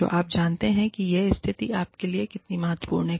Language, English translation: Hindi, And, you know, how significant, this position is for you